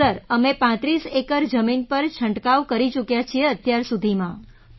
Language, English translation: Gujarati, Sir, we have sprayed over 35 acres so far